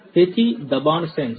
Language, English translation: Gujarati, So, pressure sensors